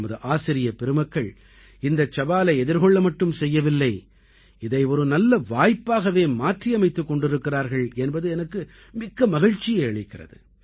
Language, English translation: Tamil, I am happy that not only have our teachers accepted this challenge but also turned it into an opportunity